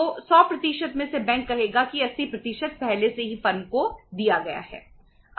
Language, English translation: Hindi, So out of the 100% bank would say 80% is already given to the firm